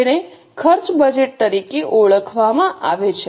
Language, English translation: Gujarati, Those are called as cost budgets